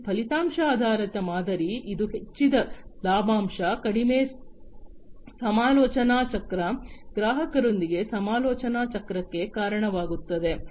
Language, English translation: Kannada, These outcome based model, it leads to increased profit margin, reduced negotiation cycle, negotiation cycle with the customer